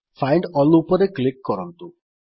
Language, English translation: Odia, Now click on Find All